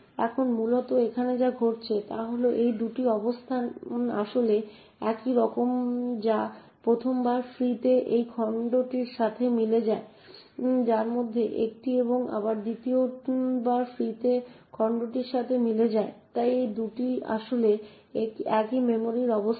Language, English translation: Bengali, Now essentially what is happening here is these two locations are what are actually the same this corresponds to the chunk a of which is free the for the first time and this corresponds to the chunk a again which is free for the second time, so these two are in fact the same memory location